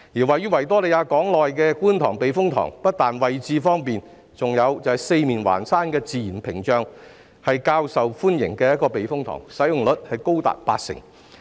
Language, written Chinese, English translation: Cantonese, 位於維港內的觀塘避風塘不單位置方便，還有四面環山的自然屏障保護，是較受歡迎的避風塘，使用率高達八成。, Locating in the Victoria Harbour the Kwun Tong Typhoon Shelter not only has a convenient location but it is also protected by natural barriers as it is surrounded by hills on all sides making it a more popular typhoon shelter with a utilization rate as high as 80 %